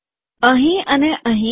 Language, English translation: Gujarati, Here and here